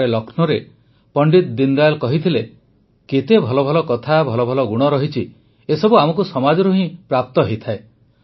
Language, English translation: Odia, Once in Lucknow, Deen Dayal ji had said "How many good things, good qualities there are we derive all these from the society itself